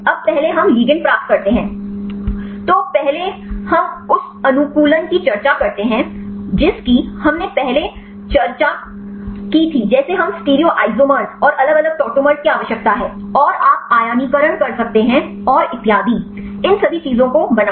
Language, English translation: Hindi, Now, first we get the ligands; first we do the optimization we discussed earlier like we need to the stereoisomers and the different tautomers, and you can do the ionization and so on; make all these things perfect